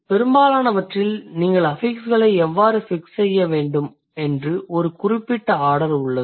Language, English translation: Tamil, So, in most of the cases, there is a certain order how you need to fix the affixes